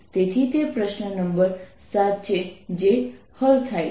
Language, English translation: Gujarati, so that's question number seven solved